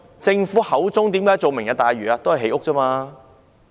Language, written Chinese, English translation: Cantonese, 政府為何提出"明日大嶼"？, Why does the Government propose Lantau Tomorrow?